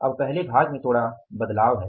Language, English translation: Hindi, Now there is a little change in the first part